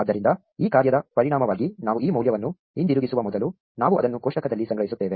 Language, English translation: Kannada, So, before we return this value back as a result of this function, we store it in the table